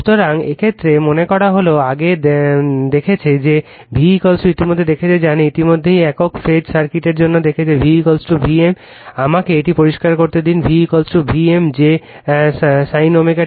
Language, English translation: Bengali, So, in this case that means, the earlier we have seen that your v is equal to we have already seen know, v we have already seen for single phase circuit v is equal to v m let me clear it, v is equal to v m that sin of omega t